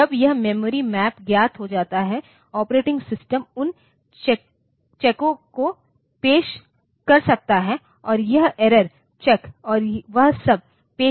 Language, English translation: Hindi, So, once this memory map is known, operating system can introduce those checks and it can introduce the error checks and all that